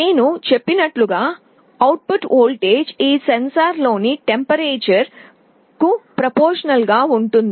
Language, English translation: Telugu, As I said the output voltage is proportional to the temperature in these sensors